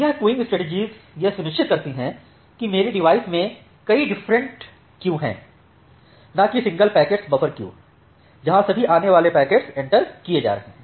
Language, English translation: Hindi, So, this queuing strategies ensures that I have multiple different queues in my device rather than maintaining a so, you have a single packet buffer queue where all the incoming packets are getting entered